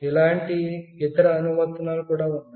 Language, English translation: Telugu, There are other application which will be similar